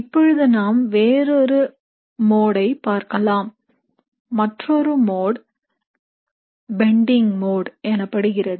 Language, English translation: Tamil, Now let us look at the other modes, the other modes are what are called as bending modes